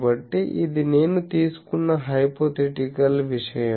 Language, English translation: Telugu, So, this is hypothetical I have taken this